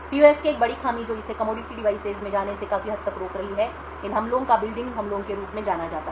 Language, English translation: Hindi, One of the major drawbacks of PUFs which is preventing it quite a bit from actually going to commodity devices is these attacks known as model building attacks